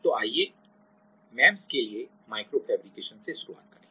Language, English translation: Hindi, So, let us start with micro fabrication for MEMS